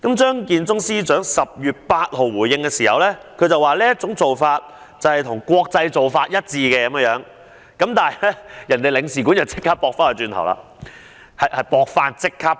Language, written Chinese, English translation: Cantonese, 張建宗司長在10月8日作出回應，指特區政府的做法與國際做法一致，但英國領事館已即時反駁。, Chief Secretary Matthew CHEUNG responded on 8 October that the SAR Governments practice was in line with the international practice only to be refuted by the United Kingdom Consulate immediately